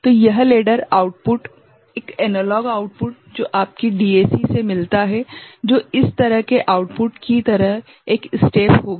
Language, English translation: Hindi, So, this ladder output, this analog output that DAC that you get which will be a step like this thing output